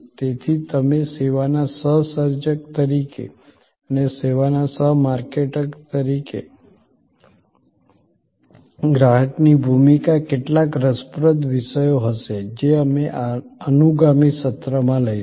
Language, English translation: Gujarati, So, the role of the customer as you co creator of service and as a co marketer of the service will be some interesting topics that we will take up in the subsequence session